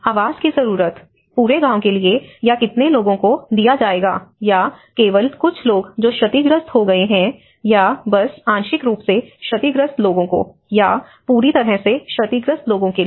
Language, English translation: Hindi, Housing needs, how many people or given for the whole village or only a set of people who got damaged, partially damaged, or fully damaged